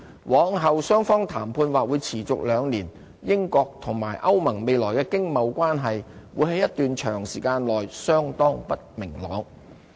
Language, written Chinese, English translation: Cantonese, 往後雙方的談判或會持續兩年，英國和歐盟未來的經貿關係會在一段長時間內相當不明朗。, The negotiation may last two years seriously clouding the trade relations between Britain and the European Union for a long time